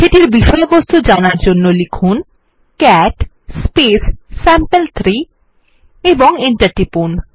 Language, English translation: Bengali, Let us see its content, for that we will type cat sample3 and press enter